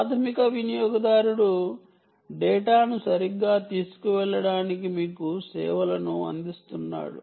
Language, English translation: Telugu, primary user is himself offering you services to carry data, right